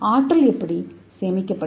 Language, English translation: Tamil, how it is energy saving